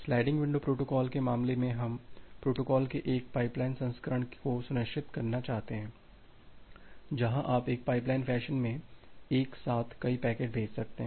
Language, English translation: Hindi, In case of the sliding window protocol we want to ensure a pipeline version of the protocol where you can send multiple packets all together in a pipeline fashion